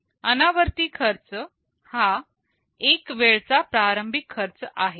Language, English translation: Marathi, The non recurring cost is the one time initial cost